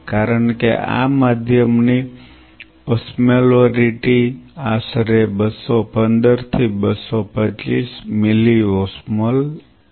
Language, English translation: Gujarati, Because the osmolarity of this medium is approximately 215 to 225 milliosmole